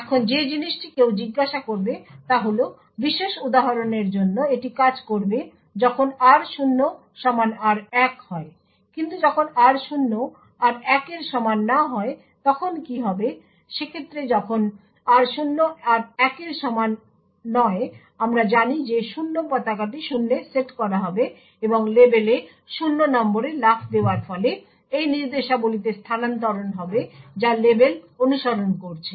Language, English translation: Bengali, Now the thing which one would ask is this would work fine for the specific example when r0 is equal to r1, but what would happen when r0 is not equal to r1, well in such a case when r0 is not equal to r1 we know that the 0 flag would be set to zero and the jump on no 0 to label would result in the execution being transferred to these instruction that is following the label